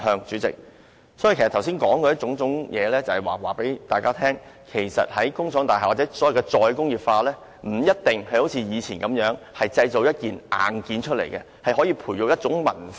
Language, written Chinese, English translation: Cantonese, 主席，我剛才說的種種是要告訴大家，其實在工廠大廈內，或在"再工業化"下，不一定要像以前般製造硬件，而是可以培育文化。, President the point that I am trying to make by talking about these things just now is that instead of manufacturing hardware as in the past we may actually nurture culture in industrial buildings or under re - industrialization